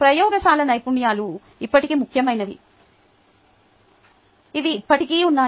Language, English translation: Telugu, laboratory skills are still important, which are still there